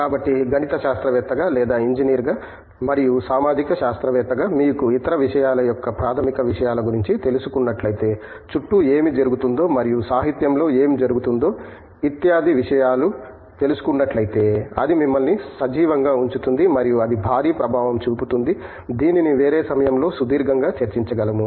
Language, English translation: Telugu, So, as a mathematician or as an engineer and as a social scientist if you are aware of the fundamentals of other things, you are aware of fundamental of whatÕs happening around and whatÕs coming up in literature, that keeps you alive and any intern it has huge implication we can we can discuss with at length at some other time